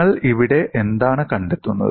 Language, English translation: Malayalam, And what do you find here